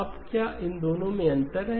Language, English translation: Hindi, Now is there a difference to this two